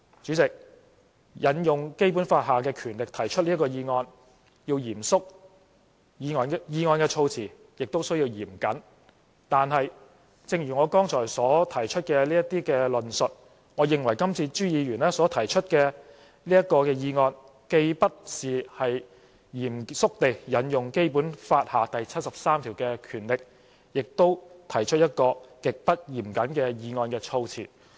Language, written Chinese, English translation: Cantonese, 主席，引用《基本法》下的權力提出議案必須嚴肅，議案措辭也需要嚴謹，但正如我剛才提出的論述，我認為朱議員今次所提出的議案，既不是嚴肅地引用《基本法》第七十三條下的權力，也提出了一項極不嚴謹的議案措辭。, President invoking the powers under the Basic Law to propose a motion requires solemnity and the wording of the motion must be rigorous . As I said in my explanation I think the current motion by Mr CHU is neither a solemn use of the powers under Article 73 of the Basic Law nor one with rigorous wording at all